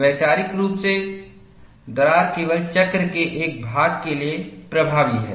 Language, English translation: Hindi, Conceptually, the crack is effective, only part of the cycle